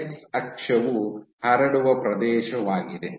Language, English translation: Kannada, So, x axis is your spread area